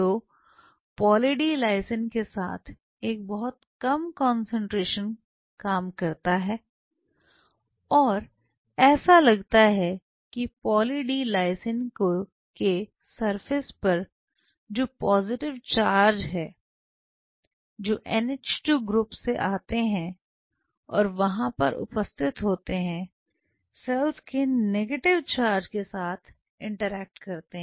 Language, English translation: Hindi, So, with Poly D Lysine a very low concentration does work and the way it works it is believed to be these positive charges which are on the surface of Poly D Lysine these positively positive charge is from NH 2 groups which are present there interact with the surface negative charge of the cell possibly this is what is believed